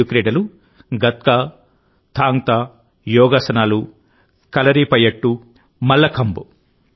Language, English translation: Telugu, These five sports are Gatka, Thang Ta, Yogasan, Kalaripayattu and Mallakhamb